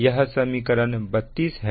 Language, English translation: Hindi, this is equation thirty one